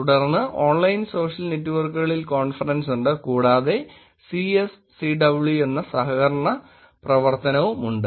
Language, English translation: Malayalam, Then there is conference on online social networks and there is also collaborative work which is CSCW